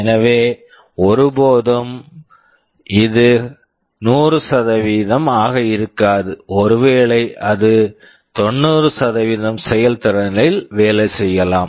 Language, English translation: Tamil, So, it will never be 100%, maybe it is working in 90% efficiency